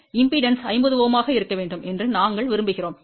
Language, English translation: Tamil, We want the impedance to be here to be 50 Ohm